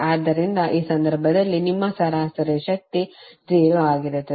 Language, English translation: Kannada, So in this case your average power would be 0